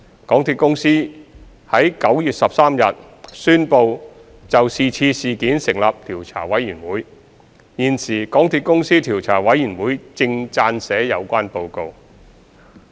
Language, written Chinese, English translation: Cantonese, 港鐵公司於9月13日宣布就這次事件成立調查委員會，現時港鐵公司調查委員會正撰寫有關報告。, MTRCL announced the establishment of an investigation panel for this incident on 13 September 2020 . MTRCLs investigation panel is drafting the report